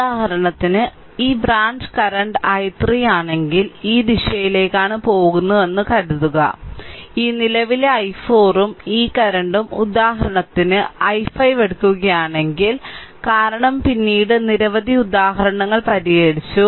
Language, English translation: Malayalam, For example suppose if this branch current is i 3 see I am taking in this direction, and this current say i 4 right and this this current say if we take i 5 for example, right because later because so, many examples we have solved